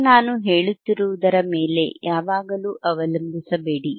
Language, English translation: Kannada, Now do not always rely on whatever I am saying, right